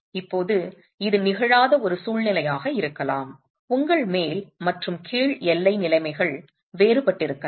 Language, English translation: Tamil, Now this could be a situation that has not occurred, so your top and bottom boundary conditions could be different itself